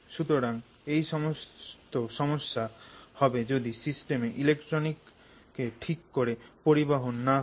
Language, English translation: Bengali, So, all these problems can happen if the system is not conducting electrons very well